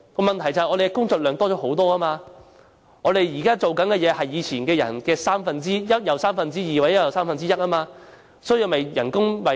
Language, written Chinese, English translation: Cantonese, 問題是工作量增加了很多，現在的工作量是以往的一又三分之一、一又三分之二，才能保住職位。, But their workload has increased enormously . To retain ones job ones workload has increased by one third or two thirds compared to that in the past